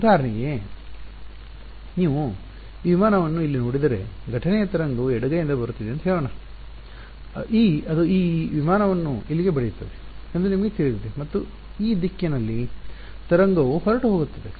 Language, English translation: Kannada, For example, if you look at this aircraft over here let us say the incident wave is coming from the left hand side like this its possible that you know it hits this aircraft over here and the wave goes off in this direction right